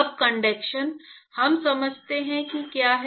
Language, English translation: Hindi, Now conduction we understand what it is